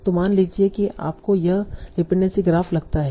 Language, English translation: Hindi, So suppose you find this dependency graph